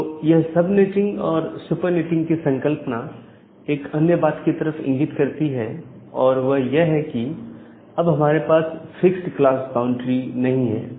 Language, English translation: Hindi, So, this concept of sub netting and super netting leads to another thing like now we do not have a fixed class boundary